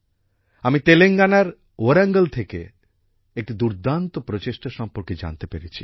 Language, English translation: Bengali, I have come to know of a brilliant effort from Warangal in Telangana